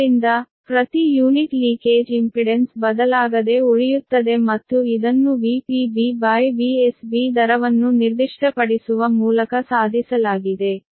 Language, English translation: Kannada, therefore, per unit leakage impedance remain unchanged, and this has been achieved by specifying v p b base upon v s b rate